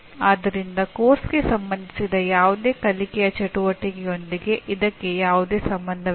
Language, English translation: Kannada, So it has nothing to do with any learning activity related to the course